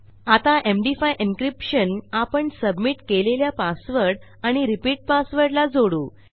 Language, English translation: Marathi, I will add this MD5 encryption around my submitted password and repeat password